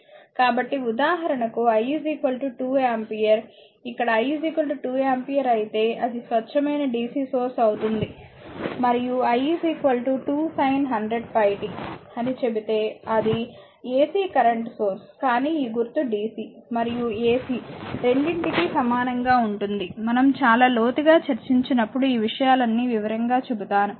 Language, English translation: Telugu, So, example i is equal to 2 ampere, if it is i is equal to 2 ampere say if i is equal to 2 ampere here right then it is a pure dc source and if i is equal to say 2 sin 100 pi pi t then it is an ac current source, but this symbol this symbol is same for both dc as well as ac, when we will go much deeper we will know all this things in detail right